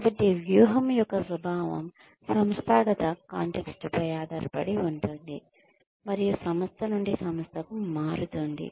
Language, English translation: Telugu, So, they say that, the nature of strategy, depends on the organizational context, and can vary from organization to organization